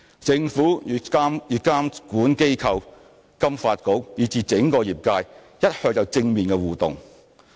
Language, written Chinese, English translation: Cantonese, 政府與監管機構、金發局，以至整個業界一向有正面的互動。, The Government has all along engaged in positive interactions with regulatory bodies FSDC and the entire sector